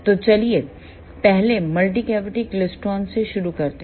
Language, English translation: Hindi, So, let us start with multicavity klystron first